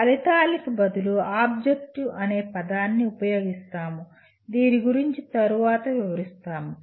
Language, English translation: Telugu, The word objective is used instead of outcome, we will explain it later